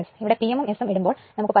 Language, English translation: Malayalam, So, put P m, put S here you will get 16